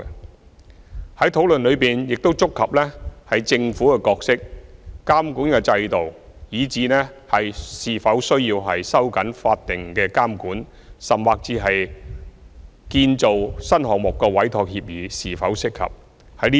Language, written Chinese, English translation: Cantonese, 有關的討論亦觸及政府的角色、監管制度、是否需要收緊法定監管，甚至建造新項目的委託協議是否適合等議題。, The relevant discussion has also touched on issues such as the Governments role the monitoring system the need for tightening statutory supervision and even the appropriateness of the entrustment agreement on new construction projects